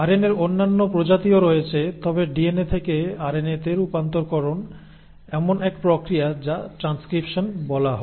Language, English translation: Bengali, There are other species of RNA as well, but this conversion from DNA to RNA is process one which is called as transcription